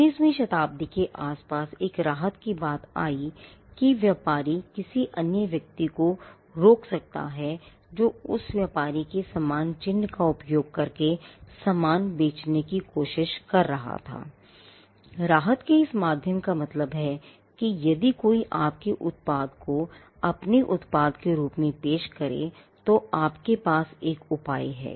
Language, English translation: Hindi, Around the 19th century the relief by which a trader could stop another person, who was trying to sell similar goods using a similar mark like that of the trader was through a relief called, the relief of passing off passing off simply means somebody else is passing off their product as yours